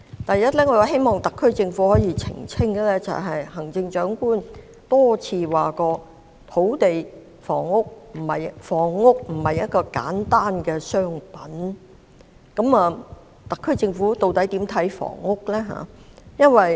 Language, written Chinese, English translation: Cantonese, 第一，我希望特區政府可以澄清，行政長官多次表示房屋並不單是一件商品，究竟特區政府對房屋有何看法？, First of all as the Chief Executive has indicated more than once that housing is not purely a commodity I wish that the SAR Government would clarify its views on housing